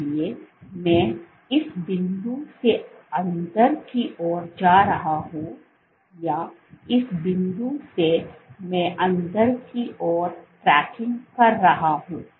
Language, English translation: Hindi, So, I am going from this point I am going inwards or this point I am tracking inwards